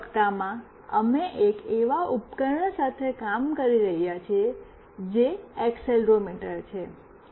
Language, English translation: Gujarati, In the final week, we have been working with one of the device that is accelerometer